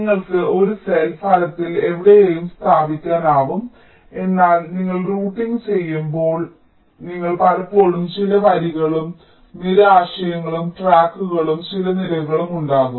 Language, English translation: Malayalam, you can place a cell virtually anywhere, but when you do routing you often have some rows and column concept tracks and some columns